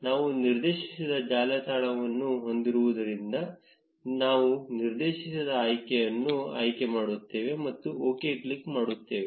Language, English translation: Kannada, We will select the directed option since we have a directed network, and click on OK